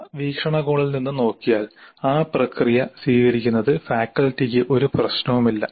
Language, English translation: Malayalam, Looked it from that perspective, faculty should have no problem in adopting that process step